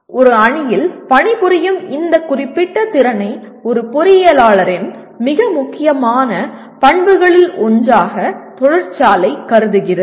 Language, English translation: Tamil, Industry considers this particular ability to work in a team as one of the very very important characteristic of an engineer